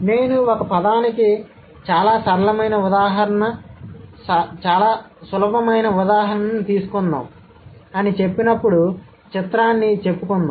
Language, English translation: Telugu, When I say, let's take a very simple example of a word, let's say picture, right